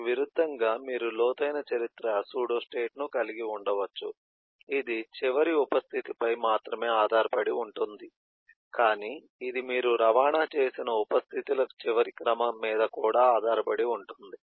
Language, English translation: Telugu, In contrast, you can could have a deep history pseduostate, which will not only depend on the last eh em eh sub state, but it might depend on the last sequence of sub states that you have transited